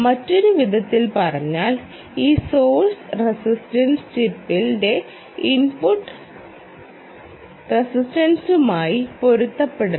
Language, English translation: Malayalam, in other words, this source resistance should match the input resistance of the chip right